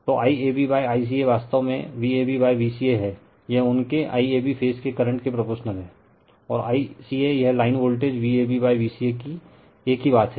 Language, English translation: Hindi, So, I AB upon I CA actually is V AB upon V CA, it is proportional to their your I AB phase current and I CA it is just a same thing at the line voltage V ab upon V ca right